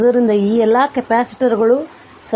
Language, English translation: Kannada, So, all of these capacitors are in series